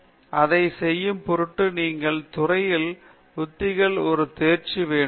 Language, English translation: Tamil, So, in order to do that you need to have a mastery of appropriate techniques in the field